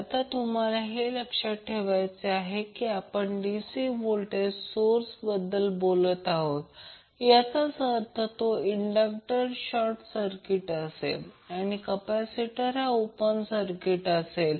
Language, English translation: Marathi, Now you have to keep in mind since we are talking about the DC voltage source it means that inductor will also be short circuited and capacitor will be open circuited